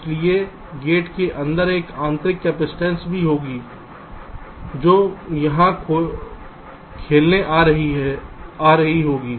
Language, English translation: Hindi, so inside the gate there will also be an intrinsic capacitance which will be coming into play here